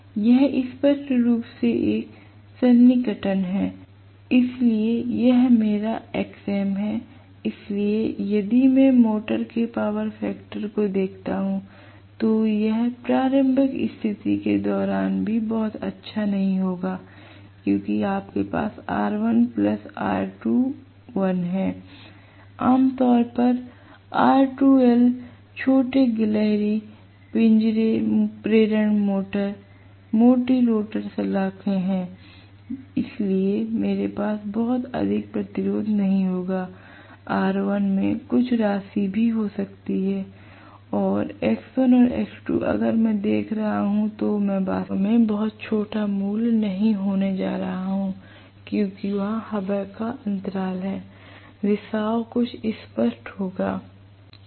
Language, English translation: Hindi, It is an approximation clearly, so this is my xm, so if I look at the power factor of the motor, it will not be very good during starting condition also, because you have R1 plus R2 dash, R2 dash is generally small squirrel cage induction motors, thick rotor bars, so I will not have much resistance R1 might have some amount of value and x1 and x2 dash if I am looking at I am really not going to have very small value because there is air gap, leakage is going to be somewhat pronounced